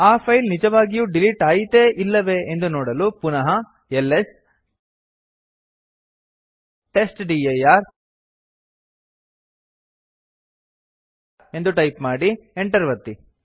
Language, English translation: Kannada, To see that the file has been actually removed or not.Let us again press ls testdir and press enter